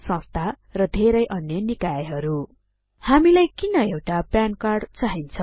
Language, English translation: Nepali, Trust and many other bodies Why do we need a PAN card